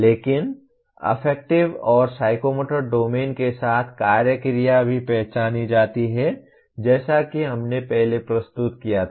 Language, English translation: Hindi, But there are action verbs also identified with Affective and Psychomotor domains as we presented earlier